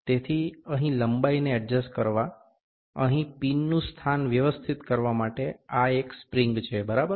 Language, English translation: Gujarati, So, this is a spring here to adjust the length, to adjust the location of the pin here, ok